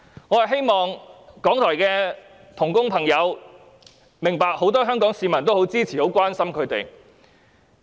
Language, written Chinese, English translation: Cantonese, 我希望藉此讓港台的同工朋友明白，很多香港市民皆支持和關心他們。, I hoped this could enable all RTHK staff to realize that many Hong Kong people supported and cared about them